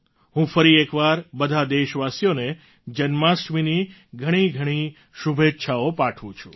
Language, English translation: Gujarati, I once again wish all the countrymen a very Happy Janmashtami